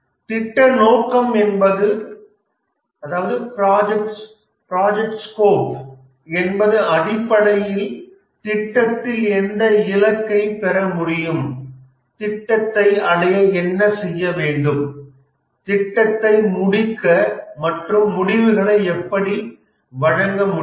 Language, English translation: Tamil, The project scope essentially means that what will be achieved in the project, what must be done to achieve the project, to complete the project and to deliver the results